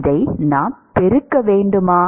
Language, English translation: Tamil, We need to multiply this by